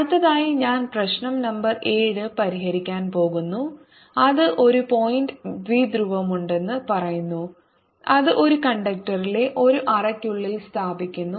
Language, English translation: Malayalam, next i am going to solve problem number seven, which says there is a point dipole which is put inside a cavity in a conductor